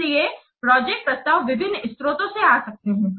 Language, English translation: Hindi, So projects projects proposals may come from different sources